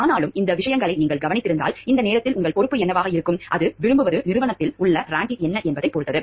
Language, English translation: Tamil, But still if you have observed these things, then what will be your responsibility at this point of time is to like it depends on like what is your rank in the organization